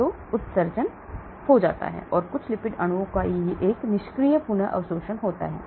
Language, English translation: Hindi, So it gets excreted and there is a passive re absorption of some of the lipids molecule